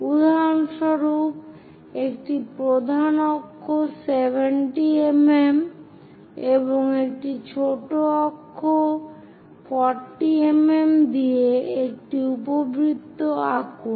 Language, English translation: Bengali, For example, draw an ellipse with major axis 70 mm and minor axis 40 mm